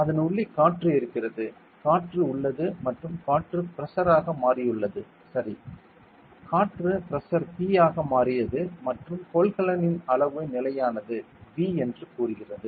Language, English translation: Tamil, In inside it, there is air; the air is there and the air is turned as a pressure ok; the air is turned as a pressure P and the volume of the container fixed say volume V ok